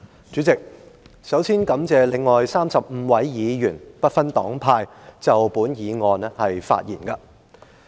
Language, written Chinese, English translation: Cantonese, 主席，首先感謝35位議員，不分黨派就本議案發言。, President first of all I wish to thank 35 Members irrespective of the political parties they belong to for speaking on this motion